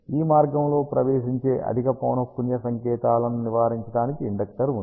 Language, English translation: Telugu, Inductor to avoid high frequency signals to enter this path